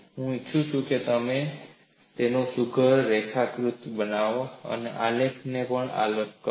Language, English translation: Gujarati, I have taken a simple example, I would like you to make a neat sketch of it and also plot this graph